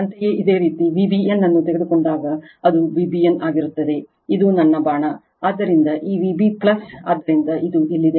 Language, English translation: Kannada, Similarly, when you take V b n, so it will be V b n right this is my arrow, so this V b plus, so this is here minus